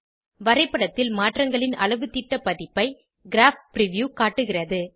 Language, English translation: Tamil, Graph preview displays, a scaled version of the modifications in the graph